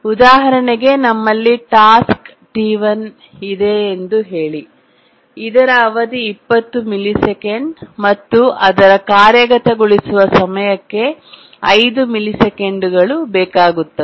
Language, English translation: Kannada, Just to give an example, let's say we have task T1 whose period is 20 milliseconds requires 5 millisecond execution time